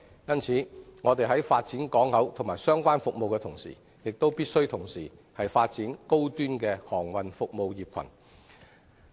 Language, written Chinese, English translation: Cantonese, 因此，我們在發展港口及相關服務的同時，亦必須發展高端航運服務業群。, For this reason when we develop HKP and related services we must also develop a high - end cluster of maritime services